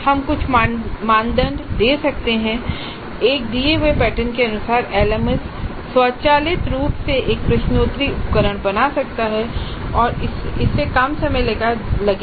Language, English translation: Hindi, We can give certain criteria and randomly according to that pattern the LMS can create a quiz instrument automatically and that would reduce the time